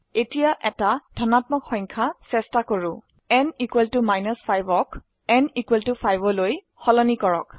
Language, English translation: Assamese, Let us try an even number Change n = 5 to n = 10